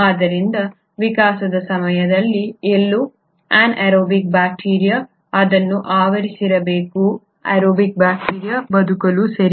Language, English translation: Kannada, So somewhere during the course of evolution, an anaerobic bacteria must have engulfed this aerobic bacteria to survive, right